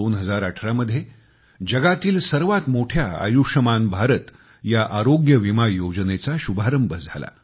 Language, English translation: Marathi, The year 2018 saw the launching of the world's biggest health insurance scheme 'Ayushman Bharat'